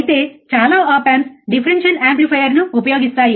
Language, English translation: Telugu, However most of the op amps uses the differential amplifier